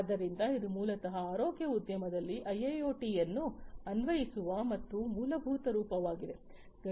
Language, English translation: Kannada, So, that is basically a very rudimentary form of application of IIoT in the healthcare industry